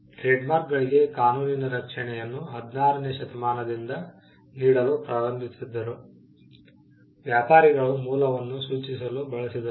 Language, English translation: Kannada, Legal protection for trademarks started around the 16th Century, when traders used it to signify the source